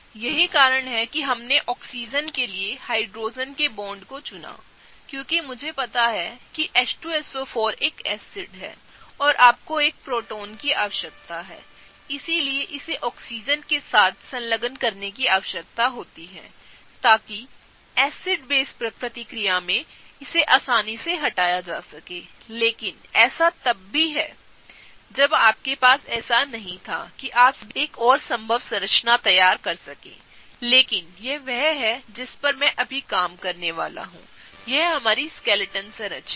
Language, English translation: Hindi, The reason why we chose Hydrogen’s bonding to the Oxygen, because I know that H2SO4 is an acid and you need a proton; so, right; so it needs to be attached to the Oxygen such that it can be easily removed in an acid base reaction, but that is even if you didn’t have that you could still draw one more structure and still try to come up with a possible scenario; but this is the one that I am gonna work with now; this is our skeleton structure